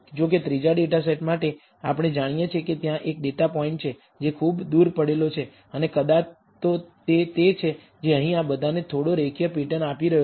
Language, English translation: Gujarati, For the third data set however, we know there is one data point that is lying far away, and perhaps that is the one that is causing all of this slightly a linear pattern here